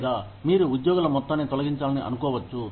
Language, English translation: Telugu, Or, you may want to lay off, a whole bunch of employees